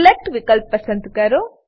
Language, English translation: Gujarati, Go to Select option